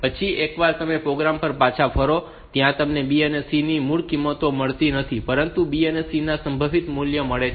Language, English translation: Gujarati, Then once you return to the program you do not get the original values of B and C, but you get the modified values of B and C